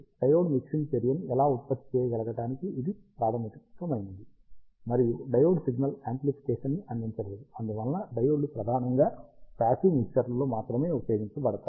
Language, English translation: Telugu, This is the basic of how a diode can produce mixing action, and because a diode cannot provide signal amplification, the diodes are mainly used in passive mixers